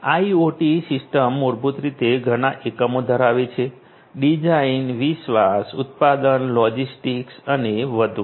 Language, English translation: Gujarati, IoT system basically consists of many units; design, development, manufacturing logistics and so on